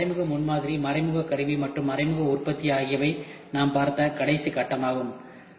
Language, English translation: Tamil, Then indirect prototyping, indirect tooling and indirect manufacturing was the last phase we saw